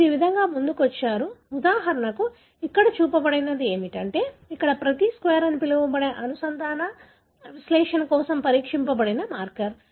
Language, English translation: Telugu, So, this is how you come up with, for example what is shown here is, there are, each square here is a marker that was tested for the so called linkage analysis